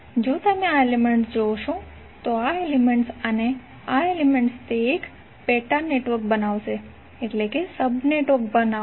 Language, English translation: Gujarati, If you see this element, this element and this element it will create one star sub network